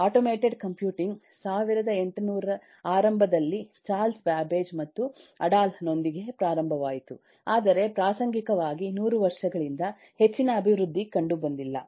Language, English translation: Kannada, mechanical computing, automated computing started in early 1800 with babbages, Charles babbage and adalh and so on, but incidentally, there was not much development for over a hundred years afterwards